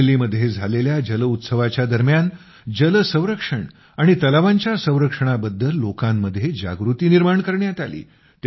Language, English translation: Marathi, During the 'JalUtsav' held in Amreli, there were efforts to enhance awareness among the people on 'water conservation' and conservation of lakes